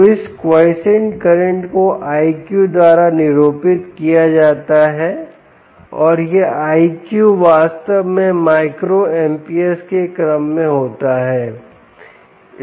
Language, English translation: Hindi, so this quiescent current is denoted by i q and this i q is indeed typically in the order of micro amps, ah